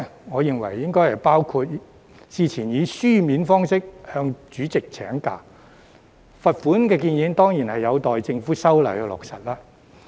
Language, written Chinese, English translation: Cantonese, 我認為應包括之前以書面方式向主席請假，罰款建議當然有待政府修例落實。, I think prior written notice to the President on absence from the meeting should be included . The implementation of the proposed fine is certainly awaiting the Governments legislative amendment